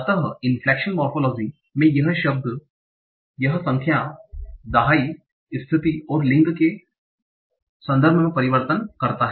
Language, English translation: Hindi, So inflection morphology, it it makes changes in terms of number times case and gender